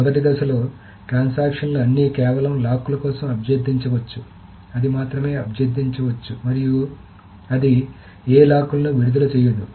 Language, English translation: Telugu, In the second phase, the transactions can only release the locks but it cannot get any more locks